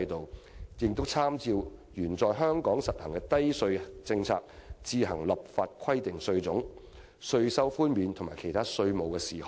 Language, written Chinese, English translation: Cantonese, 香港特別行政區參照原在香港實行的低稅政策，自行立法規定稅種、稅率、稅收寬免和其他稅務事項。, The Hong Kong Special Administrative Region shall taking the low tax policy previously pursued in Hong Kong as reference enact laws on its own concerning types of taxes tax rates tax reductions allowances and exemptions and other matters of taxation